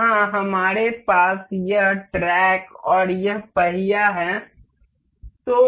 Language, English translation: Hindi, Here, we have this track and this wheel